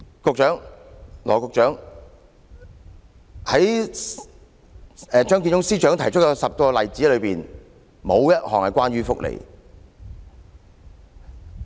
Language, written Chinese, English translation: Cantonese, 羅致光局長，在張建宗司長提出的10個例子中，沒有一項關於福利。, That is the end full - stop . Dr LAW Chi - kwong none of the 10 examples put forward by the Chief Secretary are about welfare